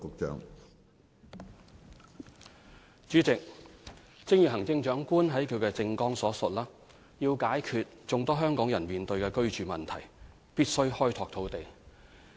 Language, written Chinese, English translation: Cantonese, 主席，正如行政長官在她的政綱所述，要解決眾多香港人面對的居住問題，必須開拓土地。, President as the Chief Executive mentioned in her election manifesto we must find more land to tackle the housing problem faced by many Hong Kong people